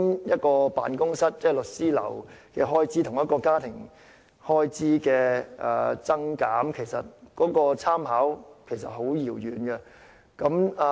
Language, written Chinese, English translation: Cantonese, 一間律師樓的開支與家庭的開支，兩者的分別其實十分巨大。, There is a huge difference between a law firms expenses and household expenses